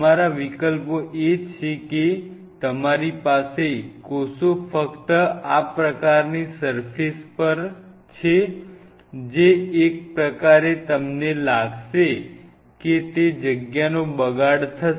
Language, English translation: Gujarati, Your options are you have the cells exclusively on the surface like this, which is kind of if you think of it will be a wastage of space